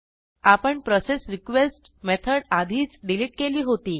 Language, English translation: Marathi, We had already deleted processRequest method